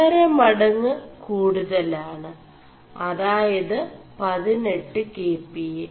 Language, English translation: Malayalam, 5 fold stiffer at 18 kPa